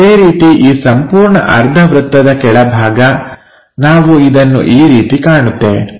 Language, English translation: Kannada, Similarly, at bottom the entire semi circle we will see it in that way